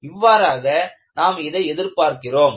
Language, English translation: Tamil, This is the way we are looking at